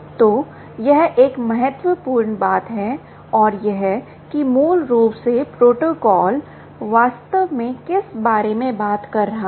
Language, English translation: Hindi, ok, so this is an important thing and that s what basically the protocol is actually ah talking about